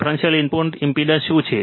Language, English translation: Gujarati, What is differential input impedance